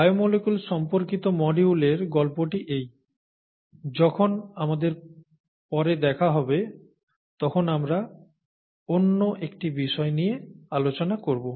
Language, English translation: Bengali, So that is the story on biomolecules, that is the module on biomolecules, and when we meet up next we will take up another aspect